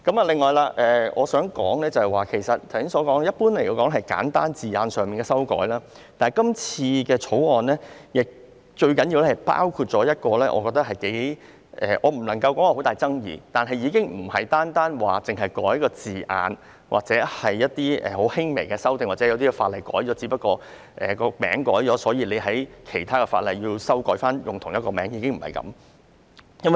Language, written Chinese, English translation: Cantonese, 此外，我想說，雖然《條例草案》普遍涉及簡單字眼上的修改，但最重要的是，《條例草案》包括一項我認為頗具爭議——我不能說很大爭議，但已不是單純涉及修改一個字眼或作很輕微的修訂，或是因為有些法例的名稱改了，因而其他法例也要作出相應修訂那麼簡單。, I hope the President can bear with me . Moreover what I wish to say is that although the Bill generally involves simple textual amendments more importantly it also involves an amendment which is rather controversial I cannot say it is very controversial . The amendment does not simply seek to amend a certain word or make a minor change nor does it simply make corresponding amendments to other ordinances due to changes made to the name of an ordinance